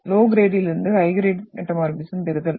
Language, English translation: Tamil, Getting from low grade to high grade metamorphism